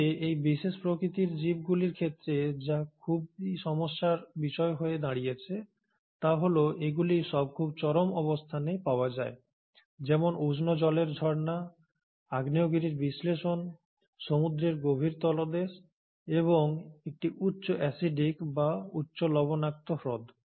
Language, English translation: Bengali, But what has been challenging with this particular domain of living organisms is that they all are found in very extreme habitats, such as the hot water springs, the volcanic eruptions, deep down in ocean beds and or an highly acidic or a high salt content lakes